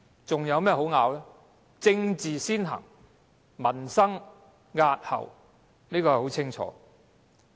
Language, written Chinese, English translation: Cantonese, 政治先行，民生押後，這已十分清楚。, Politics comes first whereas the peoples livelihood is put off . This is all very clear